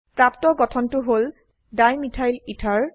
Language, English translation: Assamese, The new structure obtained is Dimethylether